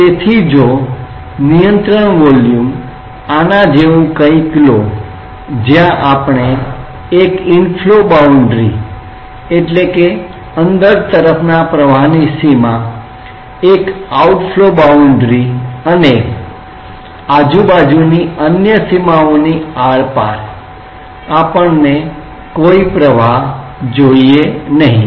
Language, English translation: Gujarati, So, if take a control volume say something like this where we consider one inflow boundary one outflow boundary and across other boundaries, we do not want any flow